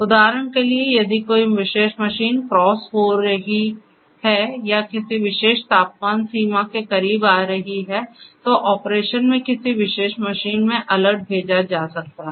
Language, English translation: Hindi, For example, if a particular machine is crossing or become coming close to a particular temperature threshold then an alert could be sent in a particular you know machine in operation